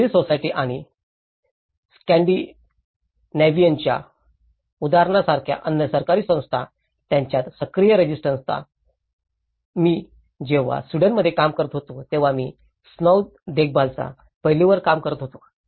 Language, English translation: Marathi, Active counterbalances, between the civil society and other governmental bodies like in Scandinavian example, I have been working on the snow maintenance aspect when I was working in Sweden